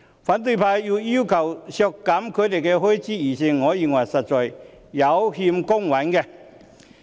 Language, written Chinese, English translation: Cantonese, 反對派要求削減他們的預算開支，我認為實在有欠公允。, I think that the oppositions demand to cut their estimated expenditure is indeed unfair